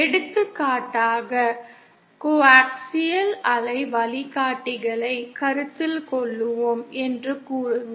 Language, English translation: Tamil, For example, say let us consider coaxial waveguides